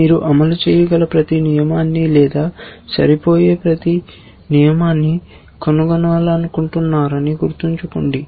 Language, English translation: Telugu, Remember that you want to find every rule that can possibly execute or every rule that matches